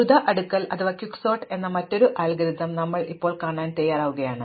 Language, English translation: Malayalam, So, we are now ready to look at another algorithm called Quick sort